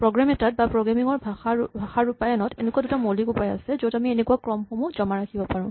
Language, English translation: Assamese, Now it turns out that in a program or in a programming language implementation, there are two basic ways in which we can store such a sequence